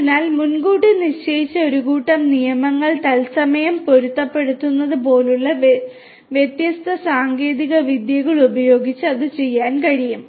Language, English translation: Malayalam, So, that can be done with different techniques something such as you know matching a predefined set of rules in real time